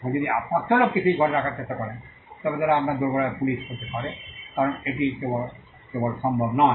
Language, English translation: Bengali, Now, if you try to put the 500 people into that room they could be police at your doorsteps because that is simply not possible